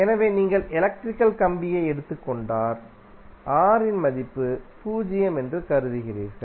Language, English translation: Tamil, So, ideally if you take electrical wire you assume that the value of R is zero